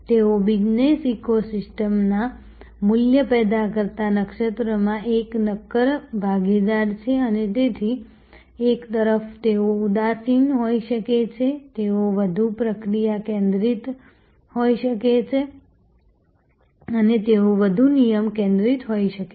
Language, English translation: Gujarati, But, they are a solid partner in the value generating constellation of the business eco system and so on, one hand they can be dispassionate they can be much more process focused they can be much more rule focused